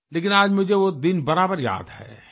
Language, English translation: Hindi, But I remember that day vividly